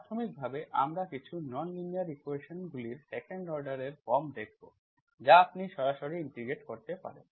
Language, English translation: Bengali, So in this mostly, initially we look at the some form of some nonlinear equations of second order, those you can directly integrate